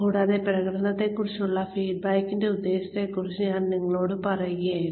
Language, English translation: Malayalam, And, I was telling you, about the purpose of, the feedback on performance